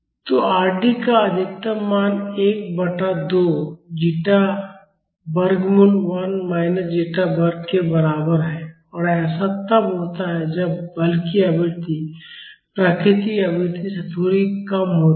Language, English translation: Hindi, So, the maximum value of Rd is equal to 1 by 2 zeta square root of 1 minus zeta square and this happens when the forcing frequency is a little less than the natural frequency